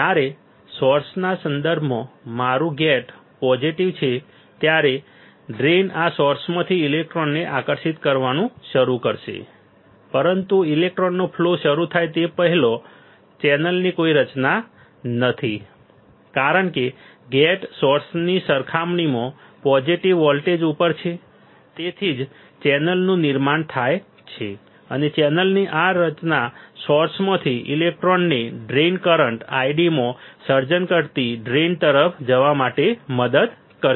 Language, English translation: Gujarati, When my gate is positive with respect to source drain is positive with respect to source, the drain will start attracting the electron from this source, but before the formation of before the flow of electron can happen initially there is no channel, but because the gate is at positive voltage compare to the source that is why there is a formation of channel and this formation of channel will help the electron from the source to move towards the drain creating in a drain current I D